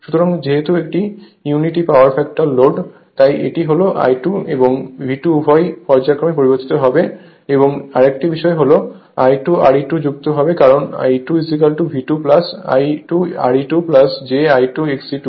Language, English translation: Bengali, So and as it is unity power factor load so, your that this is my I 2 and V 2 both will be in phase right and this is another thing is I 2 R e 2 drop also you add because E 2 is equal to if you just look into this that E 2 is equal to your V 2 plus I 2 R e 2 plus j I 2 X e 2 right